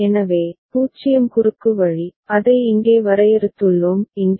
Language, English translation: Tamil, So, 0 cross that is the way, we have defined it over here ok; over here